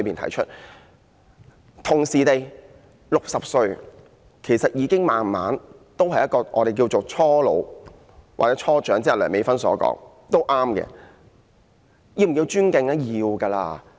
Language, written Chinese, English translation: Cantonese, 同時 ，60 歲其實已踏入我們所謂的"初老"，又或是梁美芬議員所說的"初長"，這個也對。, At the same time people at the age of 60 have reached early old age or the young elderly stage as stated by Dr Priscilla LEUNG which is also correct per se